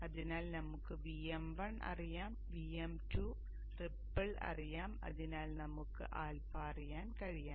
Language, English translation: Malayalam, So we know VM1, we know the ripple, we know VM2 and therefore we should be able to know alpha